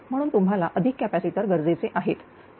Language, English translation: Marathi, Therefore additional your capacitor is required